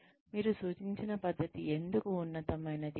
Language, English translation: Telugu, Show, why the method you suggest is superior